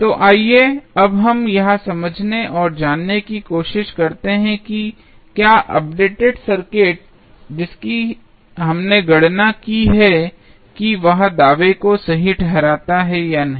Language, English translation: Hindi, So, let us now try to understand and derive whether the updated circuit which we have just calculated justifies the claim or not